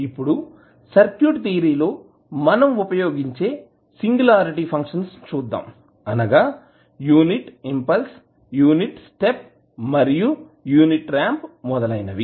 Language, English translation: Telugu, So, let us see that the singularity functions which we use in the circuit theory are nothing but the functions which are like unit impulse, unit step and unit ramp